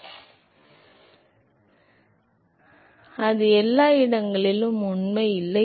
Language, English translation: Tamil, Now, that is not true everywhere